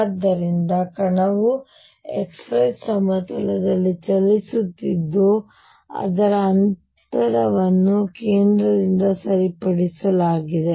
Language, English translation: Kannada, So, particle is moving in x y plane with its distance fixed from the centre